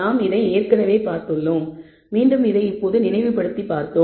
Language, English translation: Tamil, So, we have seen this before I have just only recapped this